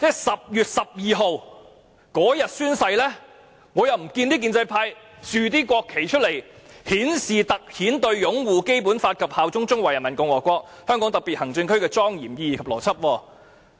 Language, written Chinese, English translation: Cantonese, 10月12日宣誓當天，我看不到建制派豎立國旗以突顯"對擁護《基本法》及效忠中華人民共和國香港特別行政區的莊嚴意義及承諾"。, On the day of oath - taking on 12 October I did not see the pro - establishment camp hoist any national flag to highlight the solemnity and pledge [of taking oath] to uphold the Basic Law and swear allegiance to the Hong Kong Special Administrative Region of the Peoples Republic of China